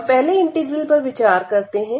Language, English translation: Hindi, So, that is the value of the integral